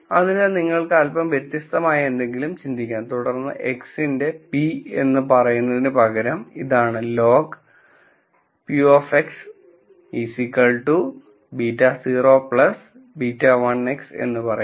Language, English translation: Malayalam, So, you could think of something slightly different and, then say look instead of saying p of x is this let me say log of p of x is beta naught plus beta 1 x